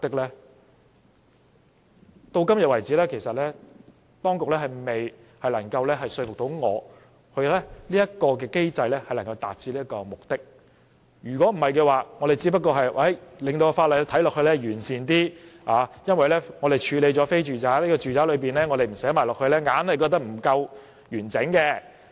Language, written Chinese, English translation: Cantonese, 直到今天為止，政府當局未能說服我這個機制能夠達致這個目的，我們只是令法例看起來更完善，因為我們處理了非住宅的情況，如果不把住宅包括在內，總覺得不夠完整。, To date the Administration is still unable to convince me that the mechanism can achieve this aim . The amendments only serve to make the ordinance look more complete because non - domestic premises are already under regulation and it seems not complete if we do not put domestic premises under regulation as well